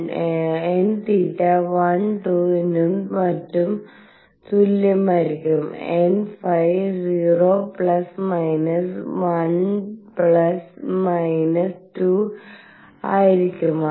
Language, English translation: Malayalam, n theta would be equal to 1 2 and so on, n phi will be 0 plus minus 1 plus minus 2 and so on